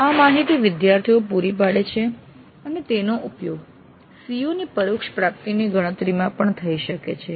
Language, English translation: Gujarati, The students provide this data and this can be used in computing indirect attainment of COs also